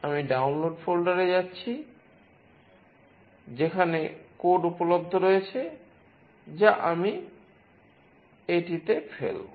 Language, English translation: Bengali, I am going to the download folder, where the code is available, which I will dump it in this